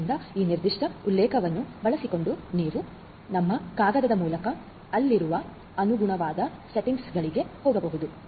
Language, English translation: Kannada, So, using this particular reference you can go through our paper the corresponding settings that are there